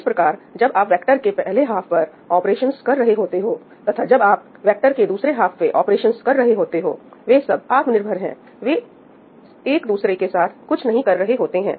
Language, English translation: Hindi, So, when you are doing the operations on the first half of the vector and if you are doing the operations on the second half of the vectors, they are very much independent , they do not have anything to do with each other